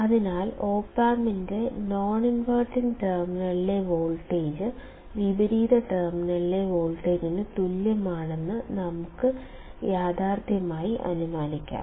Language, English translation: Malayalam, Thus, we can realistically assume that voltage at the non inverting terminal of the op amp is equal to the voltage at the inverting terminal